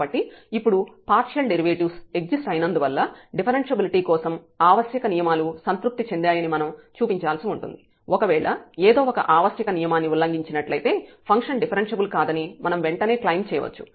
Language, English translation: Telugu, So, the existence of partial derivative now because we have to show that the necessary conditions are satisfied for differentiability, if one of the necessary conditions violated then we can immediately claim that the function is not differentiable